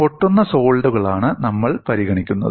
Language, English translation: Malayalam, We are considering ideally brittle solids